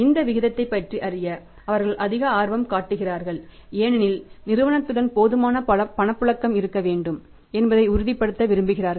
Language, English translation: Tamil, They are more interested to know about this ratio because they want to make sure that there should be sufficient liquidity with the firm if there is liquidity firm is less likely to default